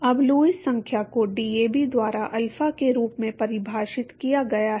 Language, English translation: Hindi, Now Lewis number is defined as alpha by DAB right